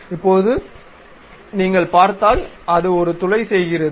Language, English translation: Tamil, Now, if you are seeing it makes a hole ok